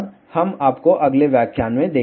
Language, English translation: Hindi, We will see you in the next lecture